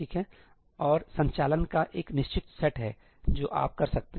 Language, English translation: Hindi, And there is only a fixed set of operations that you can do